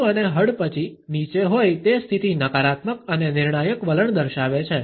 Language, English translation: Gujarati, The head and chin down position signals a negative and judgmental attitude